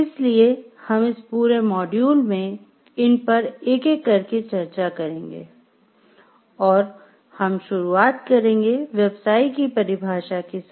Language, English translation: Hindi, So, we will discuss this throughout this module one by one and starting with the definition of what is a profession